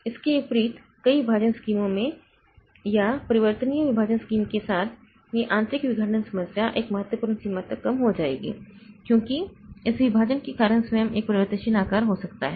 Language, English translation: Hindi, Unlike that in multiple partition scheme with a variable partition scheme, this internal fragmentation problem will be sub, will be reduced to a significant extent of this partitions themselves can be a variable size